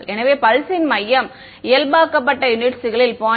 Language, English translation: Tamil, So, they are saying a centre of the pulse is 0